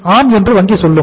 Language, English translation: Tamil, So bank would say that yes